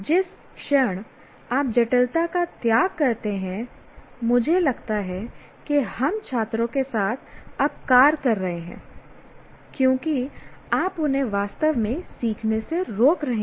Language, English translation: Hindi, The moment you sacrifice complexity, I think we are doing disservice to the students because you are preventing them from truly learning